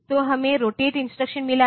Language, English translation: Hindi, So, we have got the rotate instruction